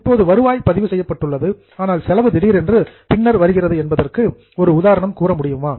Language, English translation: Tamil, Can you give an example of such a happening that revenue is recorded now but expense suddenly comes later